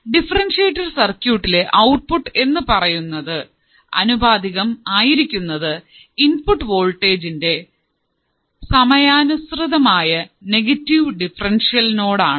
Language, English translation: Malayalam, The differentiator is a circuit whose output is proportional to negative differential input voltage with respect to time